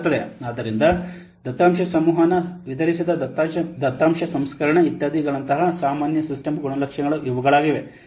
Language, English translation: Kannada, So these are the general system characteristics data like data communication, distributed data processing, etc